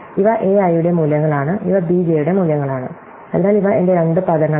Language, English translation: Malayalam, So, these are the values of a I and these are the values of b j, so these are my two words